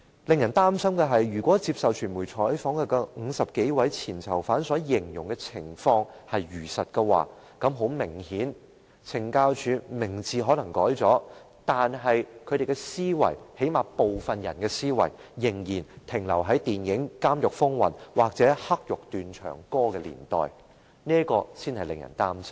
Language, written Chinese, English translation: Cantonese, 更使人擔心的是，如果接受傳媒採訪的50多位前囚犯所形容的情況屬實，明顯地，懲教署的名字可能改變了，但它的思維，最低限度是有部分人的思維，卻仍然停留在電影"監獄風雲"或"黑獄斷腸歌"的年代，這才是令人擔心的。, What is more worrying is that if the case depicted by the 50 or so ex - prisoners during a media interview is true then obviously despite the change in CSDs name its mentality or at least the mentality of some staff members still remains at the times portrayed in the movie Prison on Fire or Chinese Midnight Express . This is rather a matter of our concern